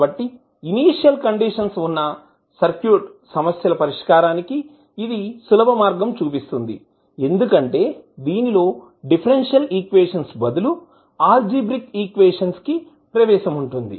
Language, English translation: Telugu, So it provides an easy way to solve the circuit problems involving initial conditions, because it allows us to work with algebraic equations instead of differential equations